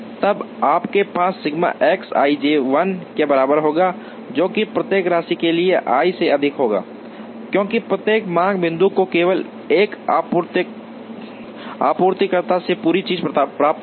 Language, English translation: Hindi, Then you will have sigma X i j equal to 1, for every j summed over i, because every demand point will receive the entire thing only from one supplier